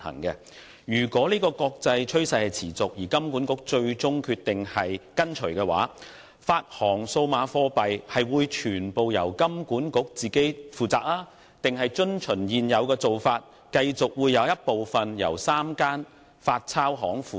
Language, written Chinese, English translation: Cantonese, 如果國際上持續這個趨勢，而金管局最終決定跟隨，發行數碼貨幣會全權由金管局負責，還是遵從現有做法，繼續有部分由3間發鈔銀行負責？, If this is an ongoing international trend and HKMA finally decides to follow will HKMA issue CBDC alone or will the three note - issuing banks be allowed to share the job as in the case of the existing arrangement?